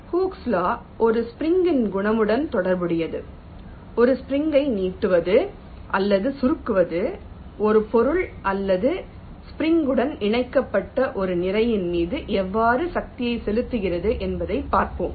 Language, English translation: Tamil, so hookes law relates to the property of a spring, how stretching or contracting a spring exerts force on a body or a mass which is connected to the spring